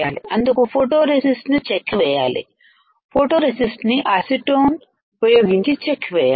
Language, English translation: Telugu, So, we have remove this photoresist by stripping it in by stripping the photoresist using acetone